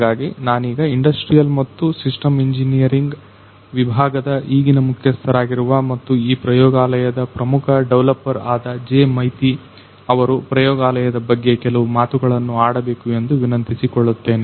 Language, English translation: Kannada, So, I now request Professor J Maiti who is currently the head of Industrial and Systems Engineering department and also the principal developer of this particular lab to say a few words describing this lab